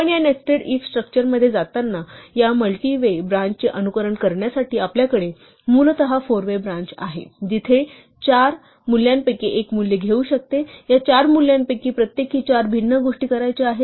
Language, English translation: Marathi, So, as you go into this nested if structure to simulate this multi way branch that we have essentially a four way branch x could take one of four values, where each of these four values you want to do four different things